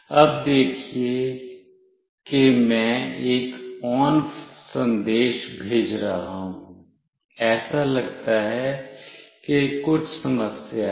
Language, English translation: Hindi, Now, see I will be sending an ON message, it seems to have some issue